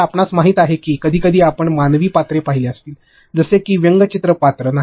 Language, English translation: Marathi, So, you know sometimes you may have seen human characters, like not cartoonish character